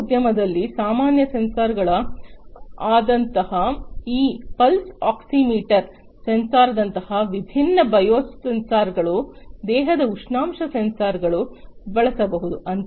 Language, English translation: Kannada, Health care: in healthcare industry as well different sensors, such as the regular ones for example, different biosensors like you know this pulse oximeter sensor, body temperature sensors could be used